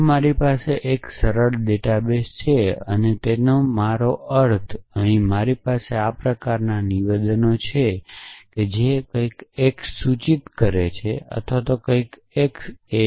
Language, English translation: Gujarati, So, if I have a simple database and by simple I mean, I have only statements of this kind something x implies something x